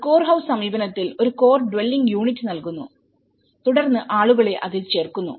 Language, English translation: Malayalam, In a core house approach, we give a core dwelling unit and then people add on to it